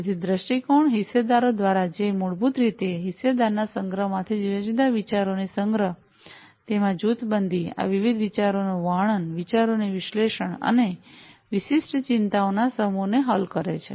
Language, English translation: Gujarati, So, viewpoints are from the stakeholders, which are basically the collection of different ideas from the stakeholder’s collection, grouping of them, describing these different ideas, analyzing the ideas, and solving the set of specific concerns